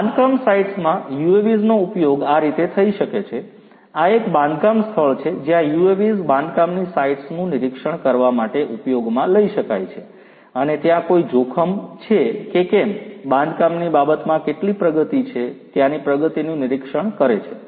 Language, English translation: Gujarati, In construction sites UAVs could be used like this; this is a construction site where the UAVs could be used to monitor the construction sites and you know whether there is any hazard, whether there is how much is the progress in terms of construction, monitoring the progress of the work